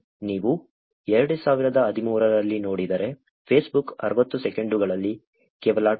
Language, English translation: Kannada, If you look at in 2013, Facebook had only 2